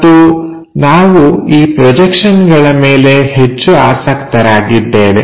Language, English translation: Kannada, And, what we are more interested is is projections